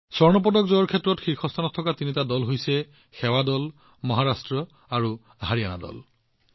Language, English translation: Assamese, The three teams that were at the fore in winning the Gold Medal are Services team, Maharashtra and Haryana team